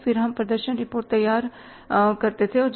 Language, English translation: Hindi, Then we prepared the performance report